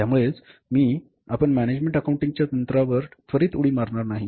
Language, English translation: Marathi, I am not straightway jumping to the techniques of management accounting